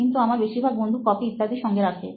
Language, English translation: Bengali, But most of my friends, they do carry copies and all